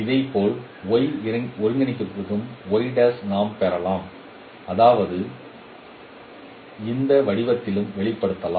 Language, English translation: Tamil, Similarly we can get also for the y coordinate that means y prime also can be expressed in this form